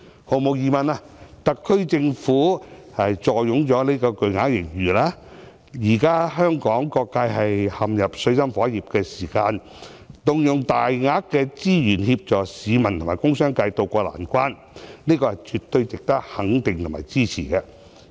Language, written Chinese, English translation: Cantonese, 毫無疑問，特區政府坐擁巨額盈餘，而現時當香港各界陷入水深火熱，動用巨額款項協助市民和工商界渡過難關，是絕對值得肯定和支持的。, Undoubtedly given the huge reserves of the SAR Government and the fact that all sectors of Hong Kong are now in dire straits the deployment of a large amount of money to help members of the public and the industrial and business sector to ride out the hard times is definitely commendable and worth supporting